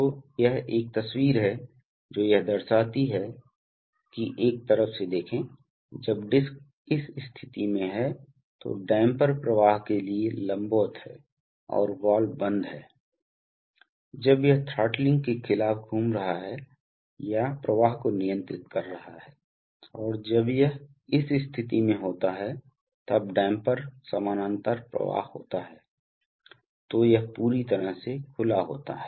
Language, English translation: Hindi, So, this is a picture which shows that, so look from a side, when the disc is in this position then the damper or then the damper is perpendicular to flow and the valve is closed, when it is moving against throttling or controlling the flow and when it is in this position then, when damper is parallel flow then it is completely open